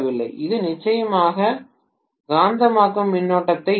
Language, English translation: Tamil, This will definitely draw magnetizing current